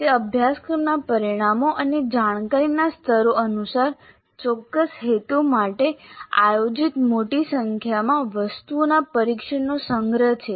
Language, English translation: Gujarati, It is a collection of a large number of test items organized for a specific purpose according to the course outcomes and cognitive levels